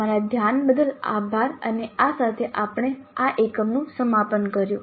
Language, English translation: Gujarati, Thank you for your attention and with this we conclude this unit